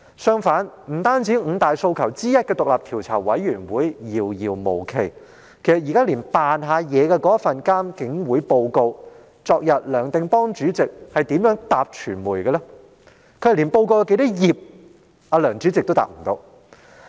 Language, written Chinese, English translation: Cantonese, 相反，不單五大訴求之一的成立獨立調查委員會遙遙無期，連那份虛與委蛇的獨立監察警方處理投訴委員會報告，其主席梁定邦昨天是如何回答傳媒的呢？, On the contrary the aspiration for the establishment of an independent commission of inquiry one of the five demands is just a distant dream moreover the report to be published by the Independent Police Complaints Council IPCC is nothing but a mere pretence how Anthony NEOH the Chairman of IPCC replied to press yesterday